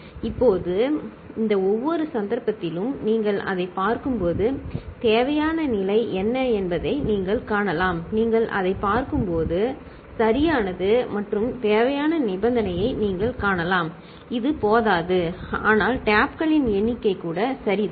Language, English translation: Tamil, Now, in each of these cases when you look at it right, and what you can find that the necessary condition it is not sufficient; when you look at it, right and what you can find that the necessary condition it is not sufficient, but it is required that number of taps are even ok